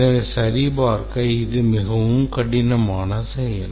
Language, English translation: Tamil, So, this is a very difficult requirement to verify